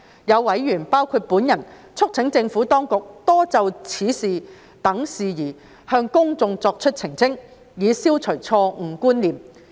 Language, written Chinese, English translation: Cantonese, 有委員，包括我促請政府當局多就此等事宜向公眾作澄清，以消除錯誤觀念。, Some members including myself have urged the Administration to make more clarifications on these issues to the public to dispel misconceptions